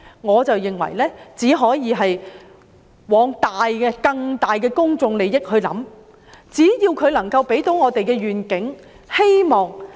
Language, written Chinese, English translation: Cantonese, 我認為只可以朝着更大的公眾利益出發，只要計劃可以為我們帶來願景和希望。, How can we address this political factor? . I think we can only turn our eyes to the greater public interest and that the programme will bring us a vision and hope